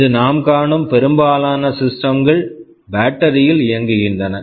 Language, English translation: Tamil, Most of the systems we see today, they run on battery